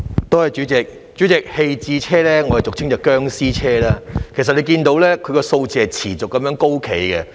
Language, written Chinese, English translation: Cantonese, 代理主席，棄置車輛俗稱"殭屍車"，這類車輛數目持續高企。, Deputy President abandoned vehicles are commonly known as zombie vehicles and the number of such vehicles remains large